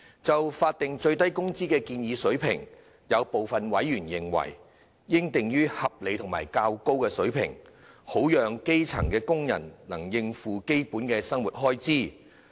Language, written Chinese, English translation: Cantonese, 就法定最低工資的建議水平，有部分委員認為應定於合理及較高水平，好讓基層工人能應付基本生活開支。, As regards the proposed SMW rate some members consider that the rate should be set at a reasonable and higher level so as to allow grass - roots workers to meet the basic living expenses